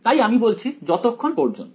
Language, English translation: Bengali, So, I can say as long